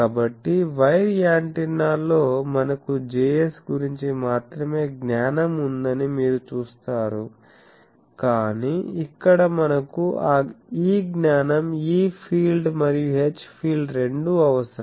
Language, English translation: Telugu, So, you see that in wire antennas we have had the knowledge of only Js, but here we require both this knowledge; that means E field and H field both an